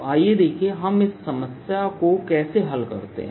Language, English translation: Hindi, so let us see how do we solve this problem